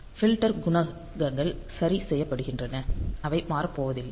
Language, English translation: Tamil, So, filter coefficients are fixed ok; so, that are not going to change